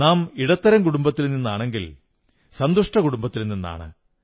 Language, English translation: Malayalam, We all belong to the middle class and happy comfortable families